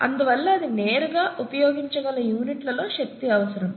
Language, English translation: Telugu, Therefore it requires energy in units that it can use directly, right